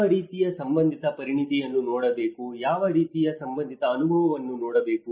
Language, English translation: Kannada, What kind of relevant expertise one has to look at it, what kind of relevant experience one has to look at it